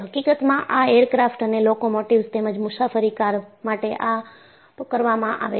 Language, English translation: Gujarati, In fact, this is done for aircraft and locomotives, as well as the passenger cars